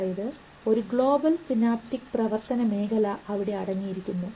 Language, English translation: Malayalam, So they are embedded in global synaptic action field